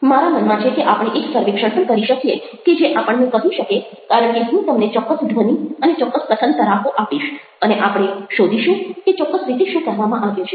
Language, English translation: Gujarati, we can also conduct a survey i have that in mind which will tell us because i will give you certain sounds or certain speech patterns and we will find out what exactly is conveyed